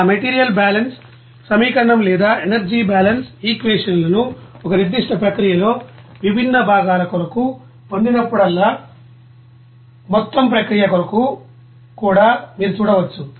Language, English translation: Telugu, You will see that whenever you are getting that material balance equation or energy balance equations for different components in a particular process even for overall process also